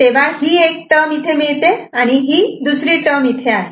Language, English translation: Marathi, And, this is one term we are getting here and another term over here